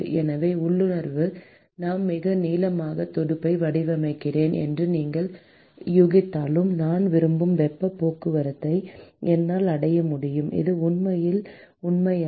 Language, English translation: Tamil, So, although intuitively you would guess that I design a very very long fin and I will be able to achieve as much as heat transport that I want that is not really true